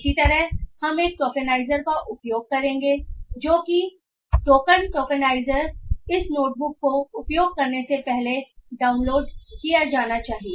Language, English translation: Hindi, Similarly we will be using the tokenizer which is the point tokenizer that also should be downloaded before this notebook has to be used